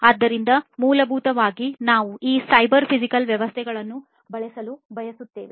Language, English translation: Kannada, So, essentially what we are trying to do is we want to use these cyber physical systems